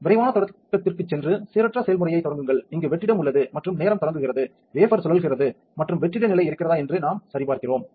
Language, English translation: Tamil, Go to quick start and start a random process, this will show us that the vacuum is on and the time starting, the wafer is rotating and we are just checking that the vacuum level is ok